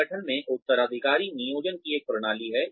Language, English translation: Hindi, The organization has a system of succession planning